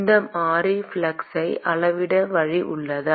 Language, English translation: Tamil, Is there a way to quantify this variable flux